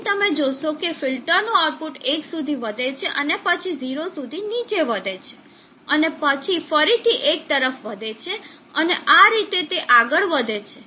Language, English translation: Gujarati, So you will see that the output of the filter rising up to 1 then rising down to 0, and then again rising up to 1 and so on